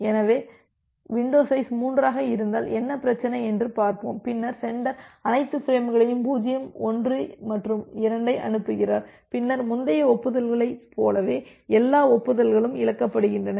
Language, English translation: Tamil, So, here let us see that what is the problem if my window size is 3, then the sender sends all the frames 0 1 and 2 and then similar to the earlier case that all the acknowledgements are lost